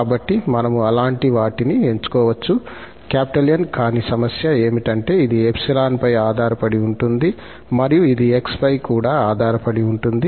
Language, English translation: Telugu, So, we can choose such N but the problem is that this N depends on epsilon and it depends on x as well